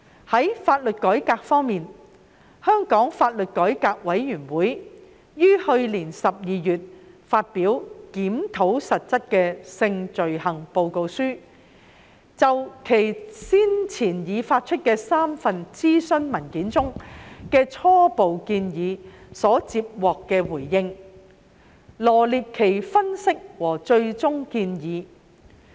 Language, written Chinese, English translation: Cantonese, 在法律改革方面，香港法律改革委員會於去年12月發表《檢討實質的性罪行》報告書，就其先前發出的3份諮詢文件中的初步建議所接獲的回應，臚列分析和最終建議。, In regard to legal reform the Law Reform Commission of Hong Kong LRC issued in last December its report on Review of Substantive Sexual Offences . The report set out analyses and final recommendations based on the responses received to the preliminary recommendations made in three consultation papers previously released by LRC